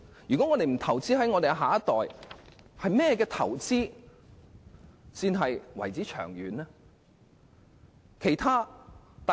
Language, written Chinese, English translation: Cantonese, 我們若不投資於我們的下一代，甚麼投資才算是長遠投資？, If we do not even invest in our next generation what else can be regarded as a long - term investment?